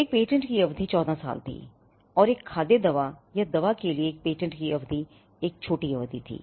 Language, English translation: Hindi, The term of a patent was 14 years and the term of a patent for a food medicine or drug was a shorter period